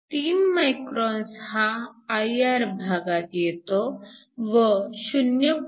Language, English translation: Marathi, So, 3 microns lies in the IR region 0